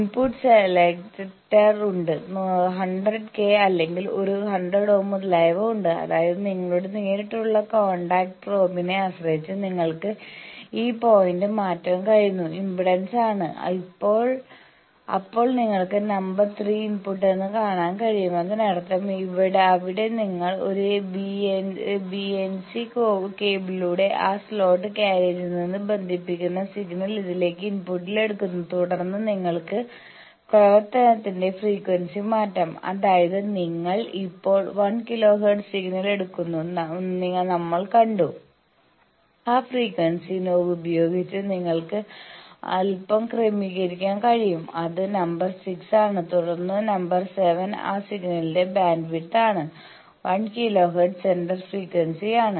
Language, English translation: Malayalam, There are input selector, there are 100 k or a 100 ohm etcetera; that means, depending on your the direct contact probe it is impedance you can change these point, then you can see that number 3 is the input; that means, there you connect the that through a BNC cable you connect from that slotted carriage the signal you take it in input to this, then you can change the frequency of operation; that means, we have seen that you are taking a 1 kilo hertz signal now that frequency you can slightly adjust by the frequency knob which is number 6 and then, number 7 is bandwidth of that signal, 1 kilo hertz is the center frequency